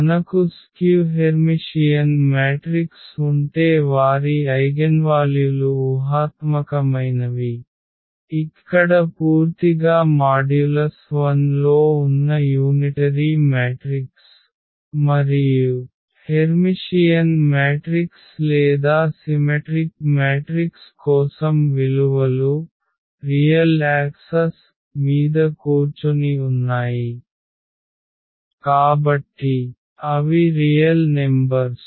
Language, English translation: Telugu, So, if you have a skew Hermitian matrix their eigenvalues are imaginary, purely imaginary here the unitary matrix they lie on this modulus 1 and for the Hermitian matrix or the symmetric matrix the values are sitting on the real axis, so meaning they are the real numbers